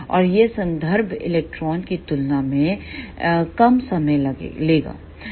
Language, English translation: Hindi, And it will take less time as compared to the reference electron